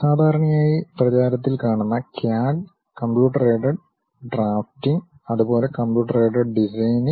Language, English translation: Malayalam, We popularly use a word name CAD: Computer Aided Drafting and also Computer Aided Designing